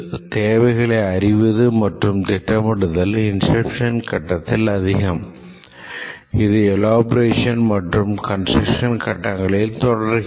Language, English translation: Tamil, The requirements and planning pick during the inception phase and even they continue during the elaboration and construction phase